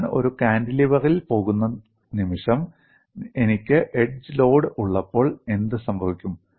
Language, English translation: Malayalam, The moment I go to a cantilever, when I have an edge load, what happens